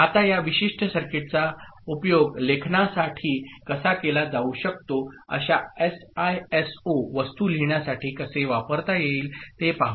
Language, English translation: Marathi, Now, let us look at how this particular circuit can be used for I mean, how such SISO thing can be used for writing ok